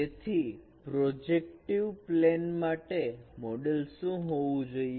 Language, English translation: Gujarati, So what should be a model for the projective plane